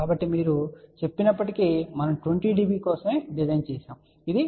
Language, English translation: Telugu, So, even though you may say we had designed for 20 db this is 20